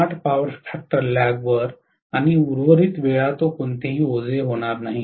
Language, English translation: Marathi, 8 power factor lag, and for the rest of the times it is going to be on no load